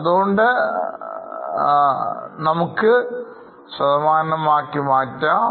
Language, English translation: Malayalam, And let us convert it into percentages